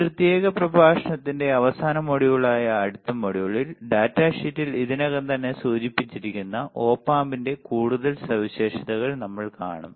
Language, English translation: Malayalam, In the next module which is the last module of this particular lecture, we will see further few further characteristics of Op Amp there are already mentioned in the data sheet all right